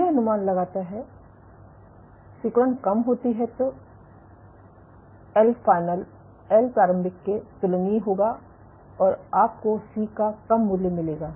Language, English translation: Hindi, So, if the if contractility is less then L final will be comparable to L initial and you will get a lower value of C